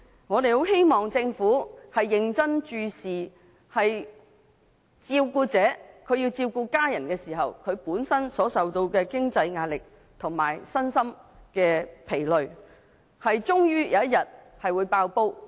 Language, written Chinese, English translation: Cantonese, 我們很希望政府認真關注照顧者，他們照顧家人時受到經濟壓力，身心疲累，終有一天會爆破。, We really hope the Government will pay serious attention to carers who are subjected to financial pressure and physical and mental exhaustion when taking care of their family members